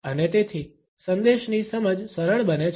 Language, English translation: Gujarati, And therefore, the comprehension of the message becomes easier